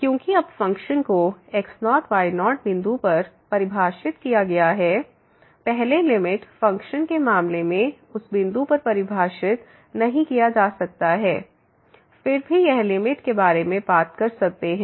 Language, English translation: Hindi, Because, now the function is defined at naught naught point; earlier in the case of limit function may not be defined at that point is still we can talk about the limit